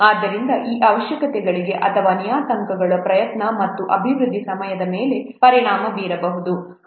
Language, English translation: Kannada, So these requirements or these parameters may affect the effort and development time